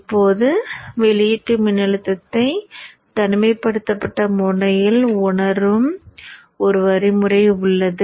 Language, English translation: Tamil, So therefore now you have a means of sensing the output voltage in an isolated manner